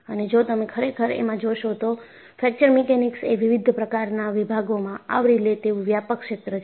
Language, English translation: Gujarati, And, if you really look at, Fracture Mechanics is a broad area covering several disciplines